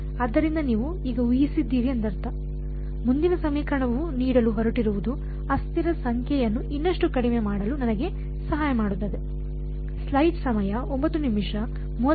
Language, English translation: Kannada, So, I mean you would have guessed by now, the next equation is going to give is going to help me further reduce the number of variables